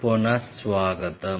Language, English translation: Telugu, Welcome you back